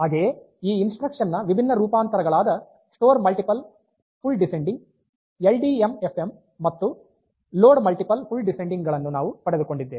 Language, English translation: Kannada, So, we have got different variants of this instruction like store multiple full descending and LDMFM, load multiple full descending